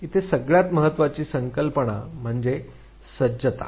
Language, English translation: Marathi, The important concepts here are one, preparedness